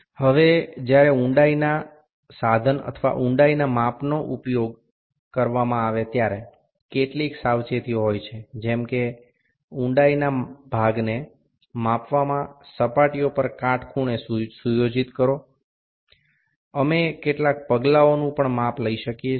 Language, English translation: Gujarati, Now while using the depth instrument or the depth measurement there are certain precautions like set the depth part perpendicular to the measured surfaces, also we can do some step measurement